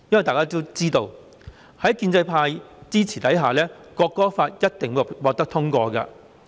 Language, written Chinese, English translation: Cantonese, 大家都知道，在建制派支持下，《條例草案》一定會獲得通過。, We all know that with the support of the pro - establishment camp the Bill will definitely be passed